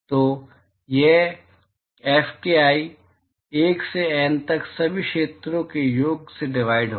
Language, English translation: Hindi, So, that will be Fki, 1 to N divided by sum over all areas